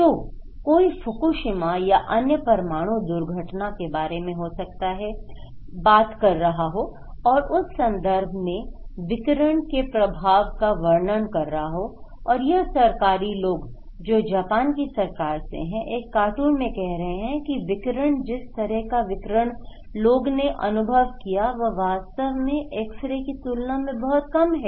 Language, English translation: Hindi, So, somebody may be talking about Fukushima or other nuclear accident and they may be worried about the radiation impact and so these government people, Japan government people in a cartoon is saying that the radiation, the way people are exposed actually is lesser than when they are having x ray